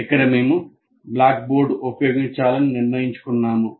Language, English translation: Telugu, And here we have decided to use the blackboard